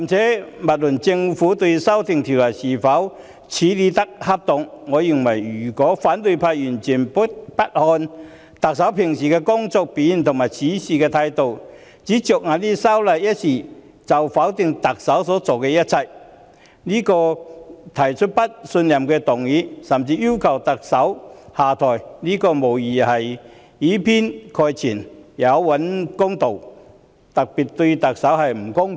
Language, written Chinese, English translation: Cantonese, 姑勿論政府在修例一事上的處理是否恰當，我認為反對派議員如果完全不看特首日常的工作表現和處事態度，僅僅因為修例一事便否定特首所做的一切，並因此提出不信任議案，甚至要求特首下台，此舉無疑以偏概全，有欠公道，對特首極不公平。, Leaving aside the question of whether the Government has acted appropriately in handling the amendment I think it is indeed biased unjustifiable and most unfair to the Chief Executive if opposition Members proposed a motion of no confidence and called for her resignation for the sole reason of the amendment while giving no regard whatsoever to her day - to - day performance and attitude at work and denigrating everything she has done . Justice is in the hearts of the people